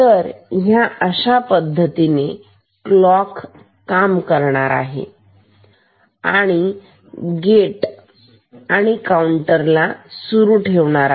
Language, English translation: Marathi, So, this is how this clock goes through the and gate and drives and increments the counter